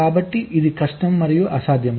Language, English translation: Telugu, so it is difficult